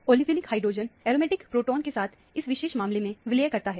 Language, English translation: Hindi, Olefinic hydrogen is merged with the aromatic proton in this case – particular case